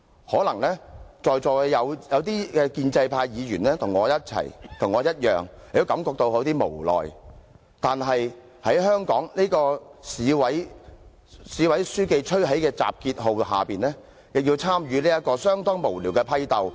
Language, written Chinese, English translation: Cantonese, 可能在座有些建制派議員與我一樣，也感到有點無奈，但在香港的市委書記吹起集結號下，也要參與這場相當無聊的批鬥。, Perhaps just like me some Members of the pro - establishment camp also feel rather helpless . However with the party secretary of Hong Kong blowing the bugle they also have to take part in this rather pointless purge